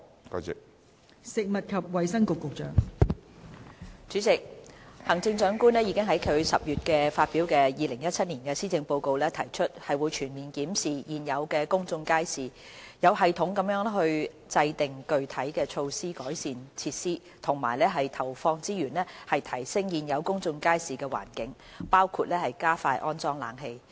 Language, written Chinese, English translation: Cantonese, 代理主席，行政長官已在其10月發表的2017年施政報告提出，會全面檢視現有的公眾街市，有系統地制訂具體措施改善設施和投放資源提升現有公眾街市的環境，包括加快安裝冷氣。, Deputy President in the 2017 Policy Address delivered in October the Chief Executive stated that the Government would conduct a comprehensive review of existing public markets formulate specific improvement measures for the facilities in a systematic manner and allocate resources to improve the environment of existing public markets including expediting the retrofitting of air - conditioning systems